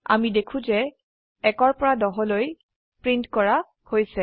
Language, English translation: Assamese, We see that, the numbers from 1 to 10 are printed